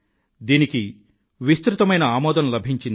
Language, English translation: Telugu, This has gained wide acceptance